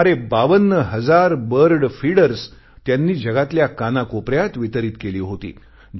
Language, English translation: Marathi, Nearly 52 thousand bird feeders were distributed in every nook and corner of the world